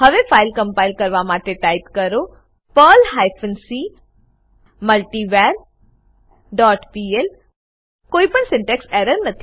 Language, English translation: Gujarati, Now compile the file by typing perl hyphen c multivar dot pl There is no syntax error